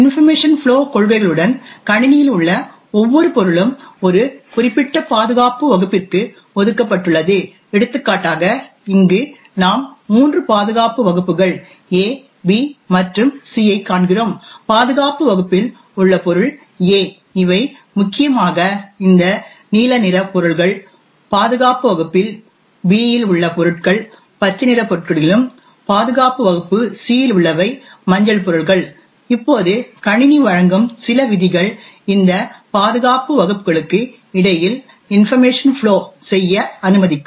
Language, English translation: Tamil, the system is assigned to a specific security class, for example over here we see three security classes A, B and C, the object in the security class A that is essentially these the blue objects, the objects in the security class B on the green objects and the object in the security class C are these yellow objects, now what the system would provide is some rules which would permit information to flow between these security classes